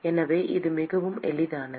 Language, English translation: Tamil, So it is very easy